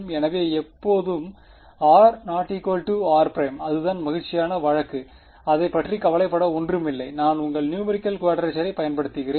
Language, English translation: Tamil, So, when r is not equal to r prime that is the happy case there is nothing to worry about that I simply use your numerical quadrature